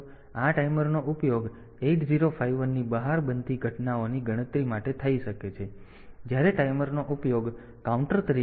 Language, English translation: Gujarati, So, these timers can be used for counting events that occur outside 8051, when the timer is used as a counter